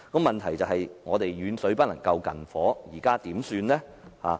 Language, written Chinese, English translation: Cantonese, 問題是遠水不能救近火，現在該怎麼辦？, The problem is that distant water cannot put out a nearby fire what can be done now?